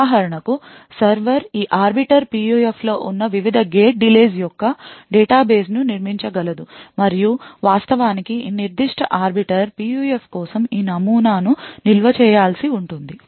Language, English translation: Telugu, For example, the server could build a database of the various gate delays that are present in this arbiter PUF and it would actually required to store this model for this specific arbiter PUF